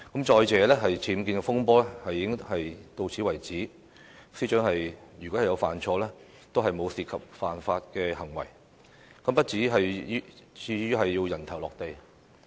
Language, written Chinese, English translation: Cantonese, 再者，僭建風波到現時為止，司長如有犯錯，也沒有涉及犯法行為，不至於"人頭落地"。, In addition as far as the UBWs controversy is concerned the Secretary for Justice has not been involved in criminal acts even though she has made mistakes